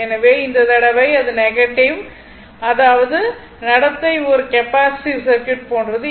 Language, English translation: Tamil, So, this time theta is negative that means what you call that circuit behavior is like a capacitive circuit